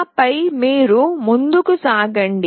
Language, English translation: Telugu, And then you move on